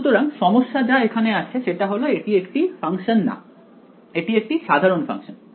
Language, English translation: Bengali, So, the problem is that here this is not actually a function this is a generalized function